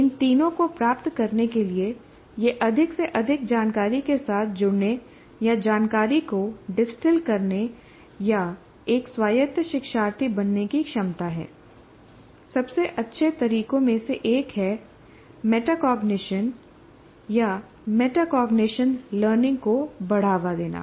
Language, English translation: Hindi, And to achieve these three, that is ability to engage with increasingly more information or distal information or to become an autonomous learner, one of the best methods is fostering metacognition learning